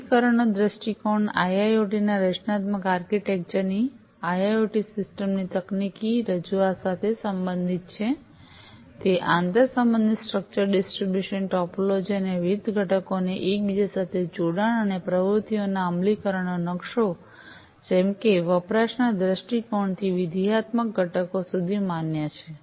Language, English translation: Gujarati, Implementation viewpoint relates to the technical presentation of the IIoT system generating architecture of the IIoT, it is structure distribution topology of interconnection, and interconnection of different components, and the implementation map of the activities, as recognized from the usage viewpoint to the functional components